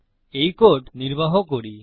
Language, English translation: Bengali, So lets execute this code